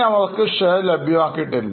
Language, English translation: Malayalam, So, far they have not received any shares